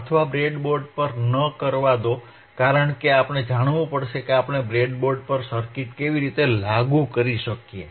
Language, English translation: Gujarati, So, or another,Or let us not do on the breadboard because we have now already know we already know that how we can implement the circuits on breadboard